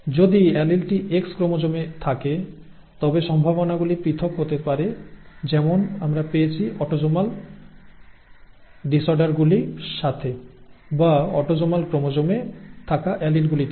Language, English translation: Bengali, So if the allele lies on the X chromosome, then the probabilities are going to be different from that we found with autosomal disorders, or the alleles that reside on autosomal chromosomes